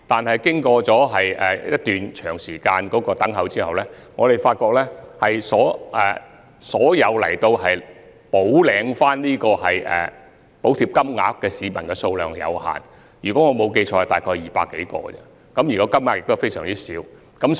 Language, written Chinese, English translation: Cantonese, 不過，經長時間等候，我們發現前來補領補貼的市民數量有限，如果我沒有記錯，只有200多人而已，而涉及的金額亦非常小。, Appendix 1 But after a long wait we found that the number of people who collected their subsidies was very limited . If I remember it correctly only some 200 people did so and the sum involved was also very small